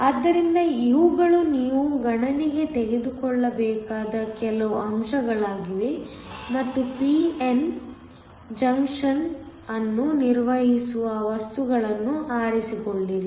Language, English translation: Kannada, So, these are some of the factors you have to take into account and choosing materials performing p n junction